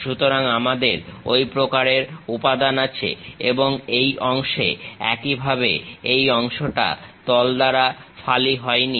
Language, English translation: Bengali, So, we have such kind of material and this part; similarly a background this part is not sliced by the plane